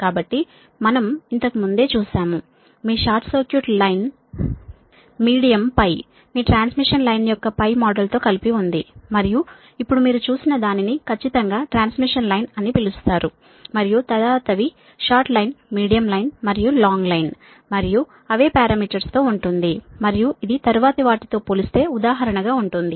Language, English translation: Telugu, earlier we have seen that your your short circuit line, medium, also with pi, your pi model of the transmission line, and now this one, we will see that your, what you call that exact one, that is, the long transmission line, right, and after this will take on short line, medium line and long line and with the same parameters, and will compare